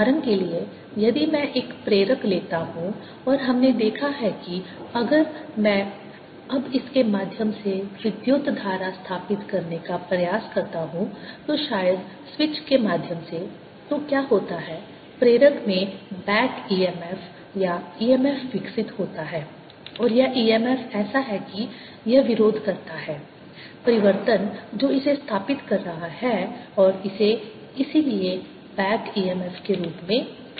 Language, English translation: Hindi, for example, if i take an inductor and we have seen, if i now try to establish the current through it, maybe through a switch, then what happens is there's a back e m f or e m f developed in the inductor, and this e m f is such that it opposes change, that is establishing it, and this is also therefore known as back e m f